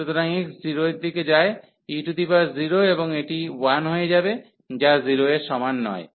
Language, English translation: Bengali, So, when we take x approaching to 0, so e power 0 and this will become 1, which is not equal to 0